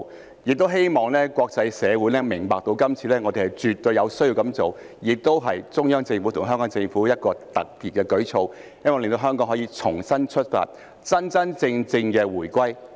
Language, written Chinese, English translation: Cantonese, 同時，也希望國際社會明白，今次我們絕對有需要這樣做，這是中央政府和特區政府一個特別的舉措，希望令香港可重新出發，真正回歸。, At the same time I also hope that the international community can understand that we definitely need to make that move this time . This is a special measure from both the Central Government and the SAR Government for Hong Kong to start anew and for its genuine return to the motherland